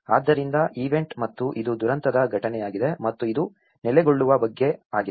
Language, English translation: Kannada, So, between the event and this is event of disaster and this is about settling down